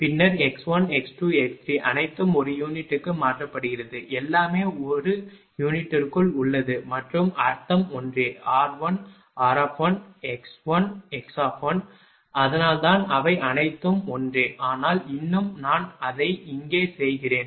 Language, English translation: Tamil, Then x 1 x 2 x 3 all are converted to per unit, everything is in per unit and meaning is same r suffix 1 r bracket 1 x 1 is equal to x bracket 1 they are all same that is why, but still I am making it here, that when you are writing mathematics, we are using this one